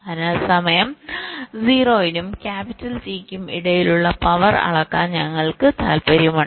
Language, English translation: Malayalam, so we are interested to measure the power between time zero and capital t